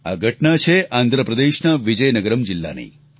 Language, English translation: Gujarati, This happened in the Vizianagaram District of Andhra Pradesh